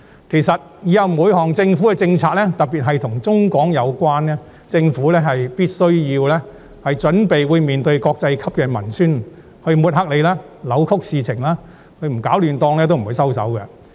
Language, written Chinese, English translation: Cantonese, 其實，往後每一項政府政策，特別是與內地相關的政策，政府必須準備面對國際級文宣的抹黑及扭曲事實，因為他們一天不攪"亂檔"，一天也不會收手。, In fact from now on the Government must be prepared to face up to the smearing and distortions by international propaganda campaigns in respect of every policy it formulates in particular those relating to the Mainland because they will not stop until chaos are stirred up